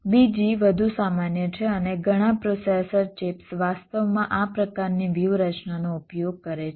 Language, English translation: Gujarati, the second one is more general and many processor chips actually use this kind of a strategy